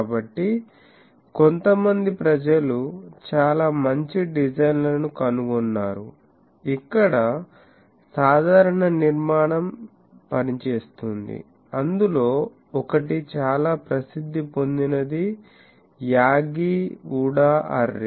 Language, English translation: Telugu, So, some of the people have found out some of the very good designs, where the simple structure can work, one of that is a very famous Yagi Uda array